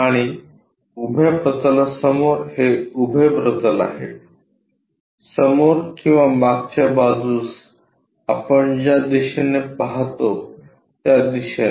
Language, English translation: Marathi, And in front of vertical plane this is the vertical plane, in front or back side the way how we look at it